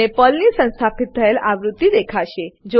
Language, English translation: Gujarati, You will see the installed version of PERL